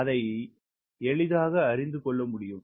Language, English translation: Tamil, so this can be easily extended